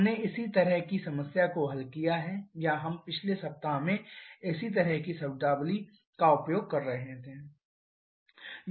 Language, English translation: Hindi, We have solved one similar problem or we use similar terminology in the previous week